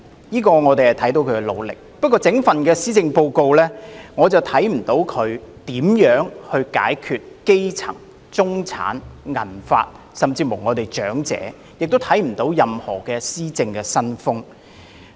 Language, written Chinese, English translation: Cantonese, 可是，在這份施政報告中，卻未見她如何解決基層、中產及長者的問題，也不見任何施政新風。, Despite her efforts in this respect she has failed to show us how she is going to solve the problems facing the grass roots the middle - class and the elderly or demonstrate a new style of governance